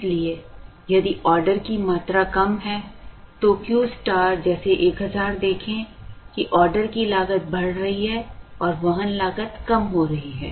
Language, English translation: Hindi, So, if the order quantity is less then Q star like 1000, see the order cost is going up and the carrying cost is coming down